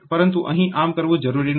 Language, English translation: Gujarati, Here that is not necessary